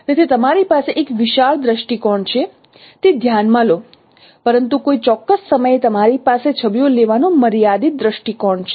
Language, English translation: Gujarati, So consider you have a wide view but no at a particular time you have only a limited no view of taking images